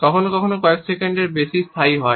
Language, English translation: Bengali, Sometimes lasting more than even a couple seconds